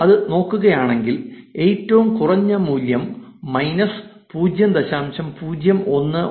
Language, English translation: Malayalam, If you look at it, it is the lowest value minus 0